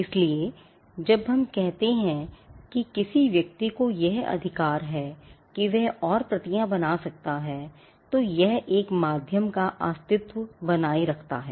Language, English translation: Hindi, So, when we say that a person has a right to make further copies it presupposes the existence of a medium